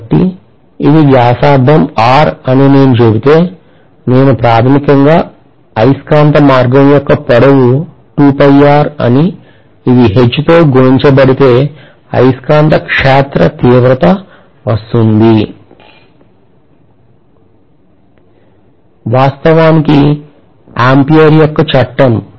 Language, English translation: Telugu, So I should be able to say in this case if I say that this is the radius R, I can say basically 2 pi R is the length of this magnetic path multiplied by H which is the magnetic field intensity should be equal to whatever is the number of turns times I